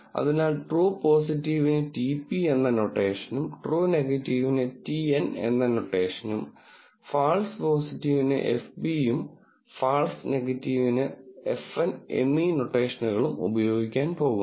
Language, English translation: Malayalam, So, we are going to use the notation TP for true positive T and for true negative F E F P for false positive and F N for false negative